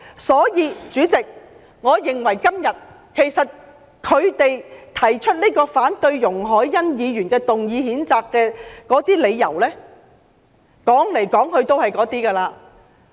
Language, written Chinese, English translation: Cantonese, 因此，主席，我認為他們今天所提出反對容海恩議員動議譴責議案的理由，來來去去也是那些。, Therefore President in my view the reasons they put forward today against Ms YUNG Hoi - yans censure motion are mostly limited to repetitions